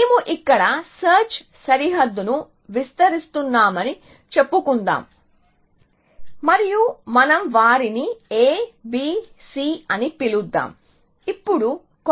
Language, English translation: Telugu, So, let us say we expanding the search frontier here and let us just